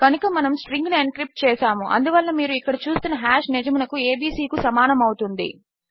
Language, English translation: Telugu, So we have an encrypted string whereby the hash you see here is equal to abc